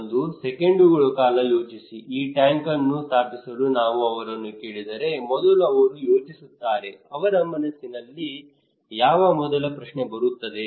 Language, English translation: Kannada, Just think about for a seconds that will we do it or not so if we ask them to install this tank what they will think what first question will come to their mind